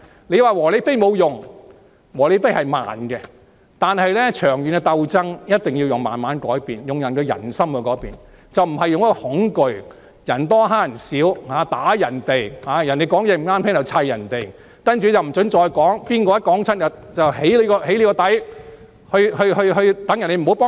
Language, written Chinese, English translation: Cantonese, 你說"和理非"沒有用，"和理非"的效果是慢的，但長遠的鬥爭一定要慢慢改變，令人心改變，而不是用恐懼、人多欺負人少、毆打別人的方法，別人持不同意見便去圍毆他們，不准他們再說下去，誰再這樣說便被"起底"，令其他人不再光顧。, You may say that a peaceful rational and non - violent approach is useless . Yes a peaceful rational and non - violent approach works slowly but when putting up a long - term struggle changes must be induced slowly in order to change the peoples mind rather than resorting to fear tactics or the approach of the majority suppressing the minority or beating up other people who hold different views barring them from speaking their minds and doxxing those who continue to speak their minds or making other people stop patronizing their shops